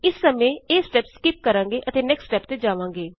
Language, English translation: Punjabi, We will skip this step for now, and go to the Next step